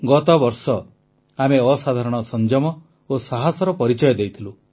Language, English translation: Odia, Last year, we displayed exemplary patience and courage